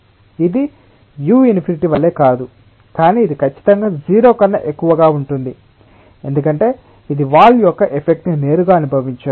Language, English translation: Telugu, it is not same as u infinity, but ah, it is definitely greater than zero because it doesnt feel the effect of the wall directly